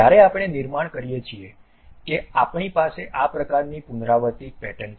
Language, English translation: Gujarati, When we construct that we have this object repeated kind of pattern